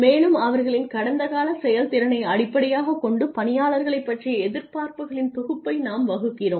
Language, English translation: Tamil, And we formulate a set of expectations about people based on their past performance